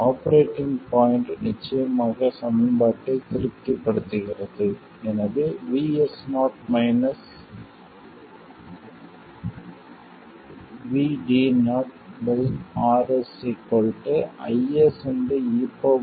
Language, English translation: Tamil, The operating point of course satisfies this equation